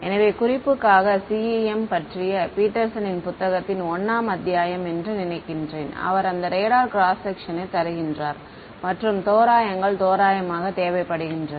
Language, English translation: Tamil, So, for reference I think chapter 1 of Petersons book on CEM, he gives you this radar cross section and the approximations required quite nicely